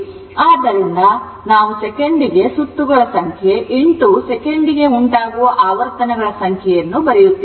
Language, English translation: Kannada, So, you can write number of cycles per revolution into number of revolution per second